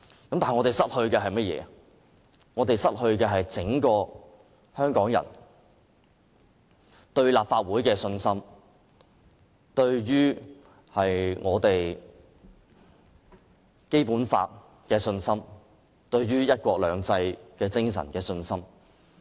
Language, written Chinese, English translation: Cantonese, 可是，我們會失去香港人對立法會的信心、對《基本法》的信心及對"一國兩制"精神的信心。, Sadly Hong Kong people will lose confidence in the Legislative Council the Basic Law and the spirit of one country two systems